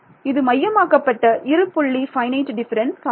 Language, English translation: Tamil, So, it is centered two point finite difference ok